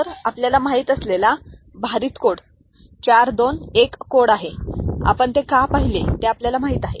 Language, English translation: Marathi, So, this is the way the weighted code you know is 4 2 1 code the why we have seen it is you know is there